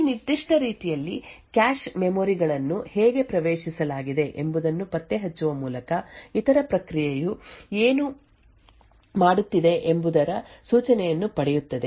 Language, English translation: Kannada, In this particular way by tracing the how the cache memories have been accessed would get an indication of what the other process is doing